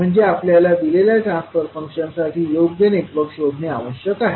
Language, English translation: Marathi, That means we are required to find a suitable network for a given transfer function